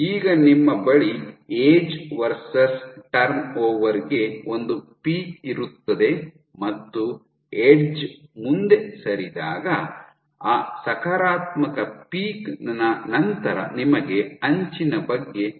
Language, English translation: Kannada, You have a peak in age versus turn over and right after that positive peak when the edge moved ahead then the edge you know